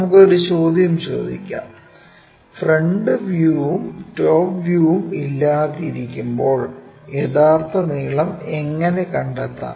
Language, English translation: Malayalam, Let us ask a question, when front view and top view are not how to find true length